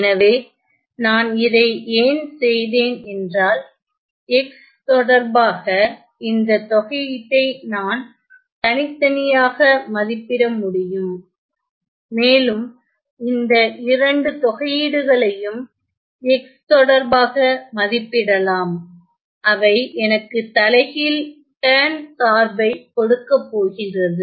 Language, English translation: Tamil, So, why I did this because, I can separately evaluate this integral with respect to X and also these 2 integrals with respect to X because, they are going to give me the tan inverse function